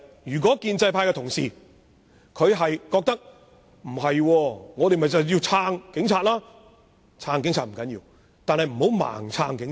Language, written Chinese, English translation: Cantonese, 如果建制派同事不同意，認為必須支持警察，我奉勸他們，不要盲目支持警察。, If pro - establishment colleagues disagree and think that we must support the Police I advise them not to render support blindly